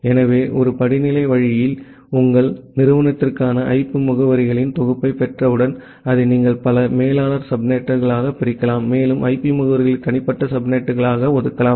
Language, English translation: Tamil, So, that way in a hierarchical way, you can once you are getting a pool of IP addresses for your institute, you can divide it into multiple molar subnets, and allocate the IP addresses to the individual subnets